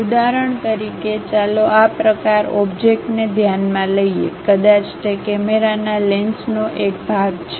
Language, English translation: Gujarati, For example, let us consider this kind of object, perhaps a part of the camera lens